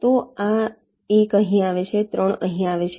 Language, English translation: Gujarati, so this one comes here, three comes here